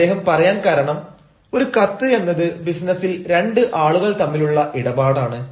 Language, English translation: Malayalam, he says, because you know a letter is a correspondence, even in business, between two people